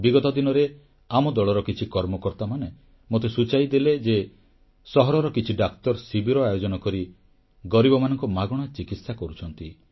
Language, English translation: Odia, Recently, I was told by some of our party workers that a few young doctors in the town set up camps offering free treatment for the underprivileged